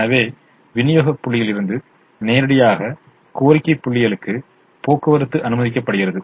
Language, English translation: Tamil, so transportation is permitted from supply points to demand points directly